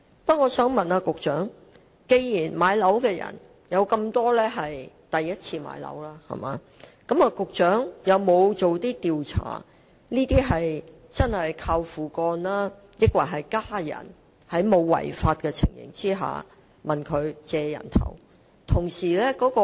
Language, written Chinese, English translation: Cantonese, 不過，我想問局長，既然大部分買家屬首次置業，局長有否進行調查，以了解這些買家究竟是"靠父幹"，抑或在其家人沒有違法的情況下"借人頭"？, However given that most of the buyers are first - time buyers may I ask the Secretary whether surveys have been conducted to see if these buyers have hinged on fathers deed or have given their identities to family members for home purchase without breaking the law?